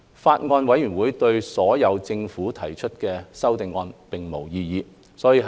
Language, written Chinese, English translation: Cantonese, 法案委員會對所有政府提出的修正案並無異議。, The Bills Committee raised no objection to any of the proposed amendments from the Government